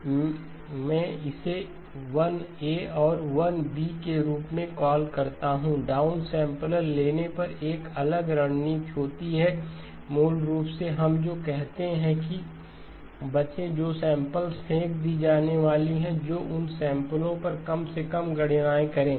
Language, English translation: Hindi, Let me call it as 1a and 1b, there is a different strategy when it comes to the down sampler, basically what we say is avoid, minimize computations that are going to be on samples that are going to be thrown away